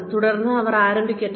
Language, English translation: Malayalam, And then, get them started